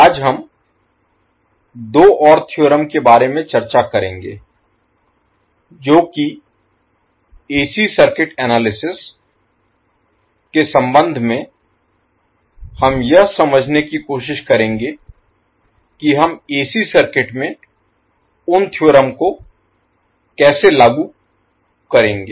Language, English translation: Hindi, Today we will discuss about two more theorems which with respect to AC circuit analysis we will try to understand how we will implement those theorems in AC circuits